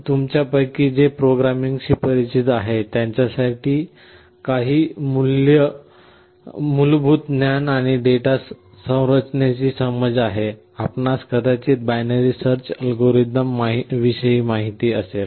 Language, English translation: Marathi, For those of you who are familiar with programming have some basic knowledge and understanding of data structure, you may have come across the binary search algorithm